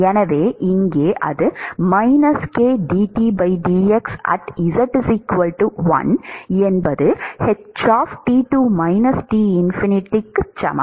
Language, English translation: Tamil, So, this is T greater than 0